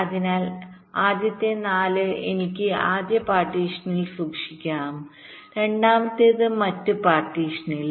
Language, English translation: Malayalam, so the first four i can keep in the first partition, second in the other partition